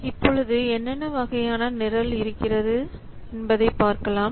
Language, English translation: Tamil, Now let's see what are the different types of programs available